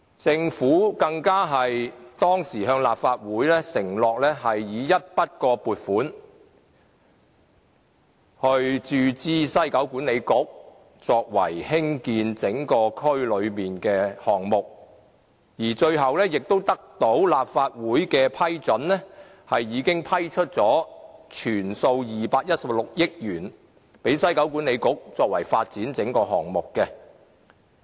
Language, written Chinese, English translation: Cantonese, 政府當時更向立法會承諾以一筆過撥款注資西九文化區管理局，作為興建整個區內的項目，而最後也得到立法會的批准，批出全數216億元給西九文化區管理局，作為發展整個項目。, At that time the Government undertook that all projects within WKCD could be constructed with a one - off upfront endowment of 21.6 billion to the WKCD Authority and the entire endowment was ultimately approved by the Legislative Council